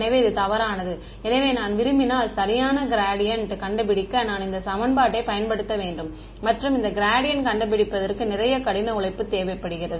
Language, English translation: Tamil, So, this is misleading; so, if I wanted to correctly find out the gradient, I should use this equation and finding this gradient is a lot of hard work ok